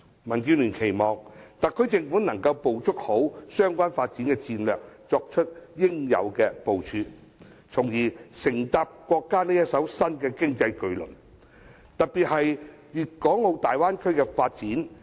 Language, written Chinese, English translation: Cantonese, 民建聯期望特區政府可以好好掌握相關發展戰略，作出應有部署，從而乘搭國家這艘新經濟巨輪，特別是大灣區的發展。, The Democratic Alliance for the Betterment and Progress of Hong Kong DAB expects the SAR Government to capitalize on the relevant development strategies and make the right move so as to board the new economic vessel of our country especially the development of the Bay Area